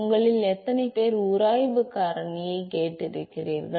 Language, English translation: Tamil, How many of you heard friction factor